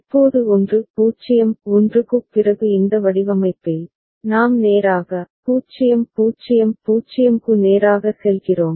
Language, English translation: Tamil, Now in this design after 1 0 1, we are going straight away to, straight a way to 0 0 0